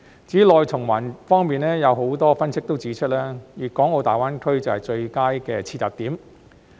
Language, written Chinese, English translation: Cantonese, 至於內循環方面，有很多分析指出，粤港澳大灣區正是最佳的切入點。, As for domestic circulation many analyses have pointed out that the Guangdong - Hong Kong - Macao Greater Bay Area GBA is the best entry point